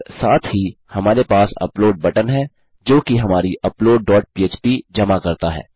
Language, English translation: Hindi, And also we have an upload button which submits to our upload dot php